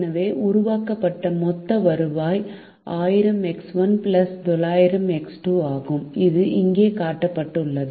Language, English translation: Tamil, therefore, the total revenue generated is thousand x one plus nine hundred x two, which is shown here